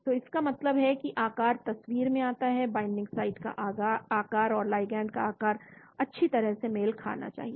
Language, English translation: Hindi, so that means the shape comes into the picture, shape of the binding site and the shape of the ligand they should match nicely